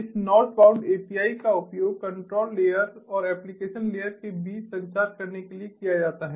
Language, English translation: Hindi, this northbound api is used to communicate between the control layer and the application layer